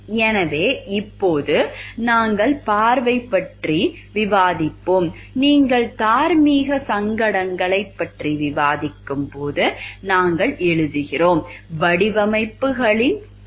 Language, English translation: Tamil, So, now we will discuss about like vision we write when you are discussing about moral dilemmas, we have discussed about the nature of designs